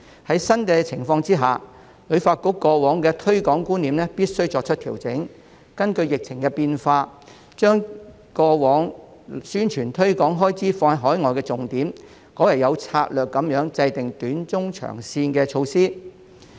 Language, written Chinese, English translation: Cantonese, 在新情況下，旅發局必須調整過往的推廣觀念，並根據疫情變化，把重點由過往的投放宣傳推廣開支到海外，改為有策略地制訂短、中、長線的措施。, Under new circumstances HKTB must adjust its previous promotion concepts . And in light of the changes to the epidemic situation HKTB should shift its previous emphasis from spending on overseas publicity and promotion to strategically formulate short - medium - and long - term measures